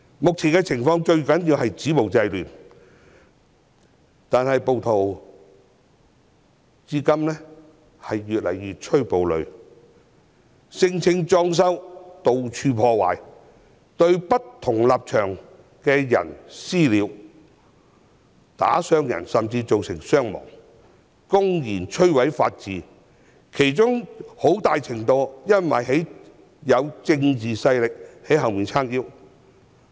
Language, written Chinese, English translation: Cantonese, 目前最重要的是止暴制亂，但暴徒卻越趨暴戾，聲稱"裝修"，到處破壞，對不同立場的人"私了"，甚至造成傷亡，公然摧毀法治，很大程度是因為有政治勢力在背後撐腰。, At present it is most important to stop violence and curb disorder but the rioters have become increasingly violent . They vandalized various places and claimed that they were renovating; they executed vigilante justice on people with different political stances even to the extent of causing injuries and deaths; and they openly damaged the rule of law . To a large extent they have committed these acts with the support of people with political power